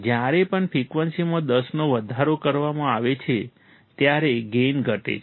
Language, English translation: Gujarati, The gain decreases each time the frequency is increased by 10